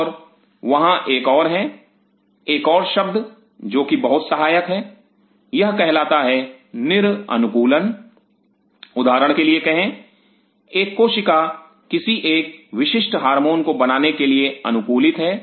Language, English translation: Hindi, And there is another one another word which comes pretty handy here called De Adaptation say for example, a cell is adapted to produce say a particular hormone